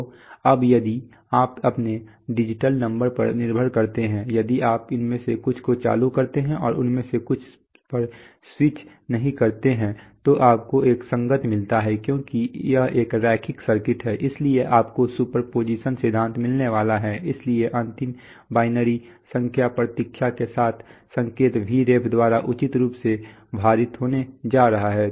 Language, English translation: Hindi, So now if you depending on your digital numbers, if you switch on some of them and do not switch on some of them then you get a corresponding, because this is a linear circuit, so you are going to get superposition principle, so the final signal is going to be Vref properly weighted by the, with the binary number waiting